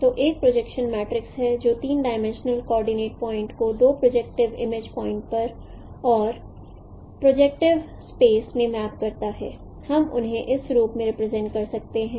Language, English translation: Hindi, So, there is a projection matrix which maps a three dimensional coordinate point to a two dimensional image point and in the projective space we can represent them as in this form